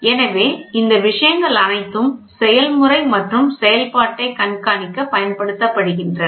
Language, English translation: Tamil, So, all these things are used for monitoring the process and operation